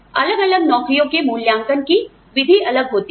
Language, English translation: Hindi, The method of evaluation of different jobs